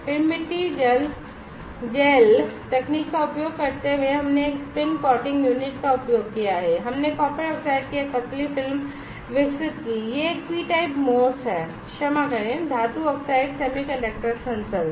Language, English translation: Hindi, And then using soil gel technique we have using a spin coating unit we have developed a thin film of copper oxide, this is a p type MOS, sorry, metal oxide semiconductor sensor